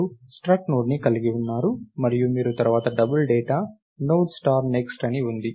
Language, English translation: Telugu, You have struct Node and you have lets say double data Node star next